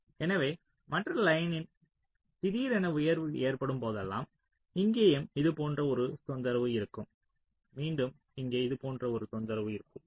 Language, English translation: Tamil, so whenever there is a sudden rise in the other line, so here also there will be a disturbance like this